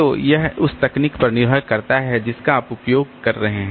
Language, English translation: Hindi, So, this depends on the technology that you are using